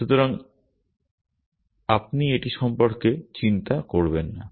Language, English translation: Bengali, So, you do not have to worry about it